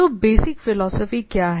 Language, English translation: Hindi, So, what is the basic philosophy